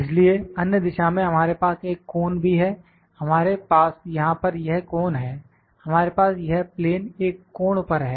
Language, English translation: Hindi, So, also we have a cone in the other direction, we have this cone here, we have this surface at an angle